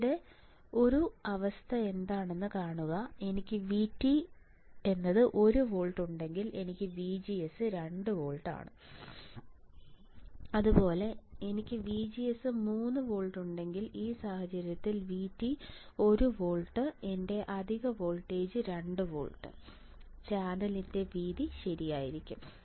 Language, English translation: Malayalam, Similarly, if I have VGS equals to 3 volt right then an V T equals to one volt in this case my excess voltage will be 2 volts and there will be my width of the channel correct